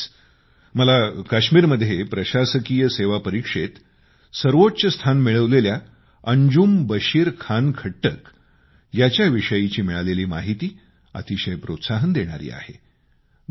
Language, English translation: Marathi, Recently, I came to know about the inspiring story of Anjum Bashir Khan Khattak who is a topper in Kashmir Administrative Service Examination